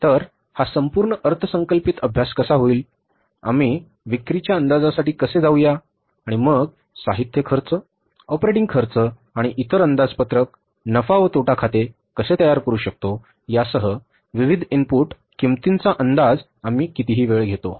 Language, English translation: Marathi, So, how that entire budgeting exercise will take place, that how we will go for the sales forecasting and then the forecasting of the different input cost, maybe including the material cost and operating expenses cost and then how we will prepare the budgeted profit and loss account whatever the time horizon we take